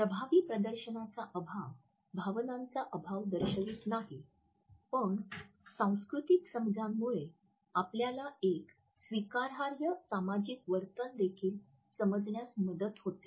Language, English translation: Marathi, A lack of effective display does not indicate a lack of emotions however, cultural considerations also help us to understand what is considered to be an acceptable social behavior